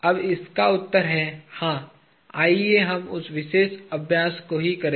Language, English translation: Hindi, Now the answer is, yes, let us just do that particular exercise